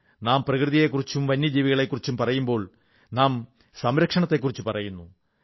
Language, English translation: Malayalam, Whenever we talk about nature and wildlife, we only talk about conservation